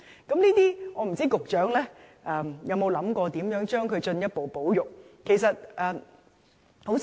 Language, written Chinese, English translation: Cantonese, 我不知道局長有沒有想過如何進一步保育這些習俗。, I do not know if the Secretary has considered how these customs can be further conserved